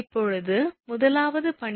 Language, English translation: Tamil, Now first one is weight of ice in kg per meter